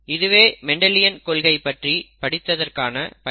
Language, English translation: Tamil, That was the use of learning Mendelian principles